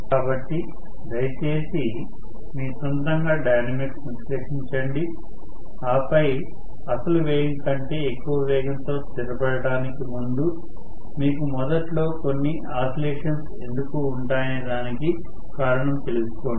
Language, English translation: Telugu, So, distinctly please analyze the dynamics on your own and then come to a reasoning as to why you will have initially some oscillations before it settles down to a speed which is higher than the original speed